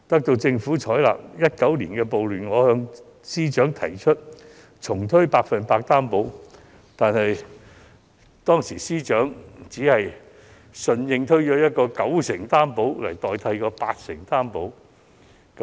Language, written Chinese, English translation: Cantonese, 因應2019年的暴亂，我建議司長重推"百分百擔保"，但司長只是以九成信貸擔保取代八成信貸擔保。, Following the riots in 2019 I suggested the Financial Secretary to reintroduce this initiative but he only substituted the 80 % Loan Guarantee with the 90 % Loan Guarantee